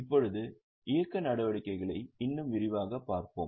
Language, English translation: Tamil, Now let us look at operating activities little more in detail